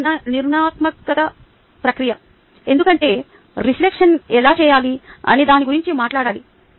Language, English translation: Telugu, it is a structured process because we have talked about how we should go about being reflection